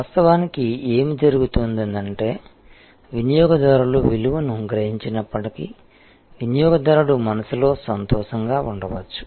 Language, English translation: Telugu, In reality, what happens is that, even though the customers perceived value, the customer may be delighted in customers mind